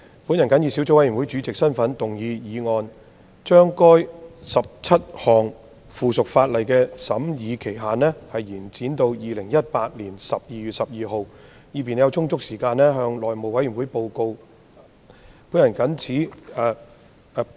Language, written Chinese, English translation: Cantonese, 本人謹以小組委員會主席身份動議議案，將該17項附屬法例的修訂期限延展至2018年12月12日的立法會會議，以便小組委員會有充足時間向內務委員會報告審議工作。, In my capacity as Chairman of the Subcommittee I move that the period for amending the 17 items of subsidiary legislation be extended to the Legislative Council meeting of 12 December 2018 so as to allow sufficient time for the Subcommittee to report its deliberations to the House Committee